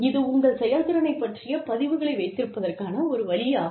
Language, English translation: Tamil, So, it is a way of keeping records, of your performance